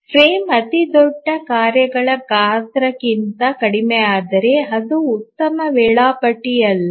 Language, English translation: Kannada, The frame if it becomes lower than the largest task size then that's not a good schedule